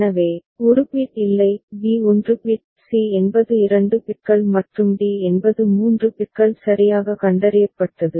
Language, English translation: Tamil, So, a is no bit; b is 1 bit; c is 2 bits and d is 3 bits detected correctly